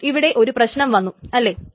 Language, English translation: Malayalam, So there is a problem